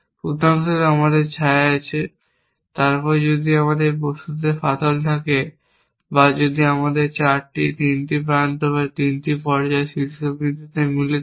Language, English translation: Bengali, For example, we have shadows, then if we have cracks in objects or if we have more than 4, 3 edges, 3 phases meeting at vertex